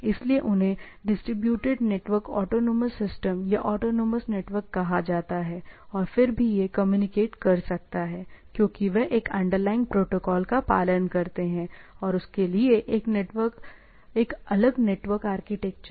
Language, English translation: Hindi, So, they are distributed network autonomous systems or autonomous networks and still it can communicate because they follow a underlying protocol and there is a different network architecture for that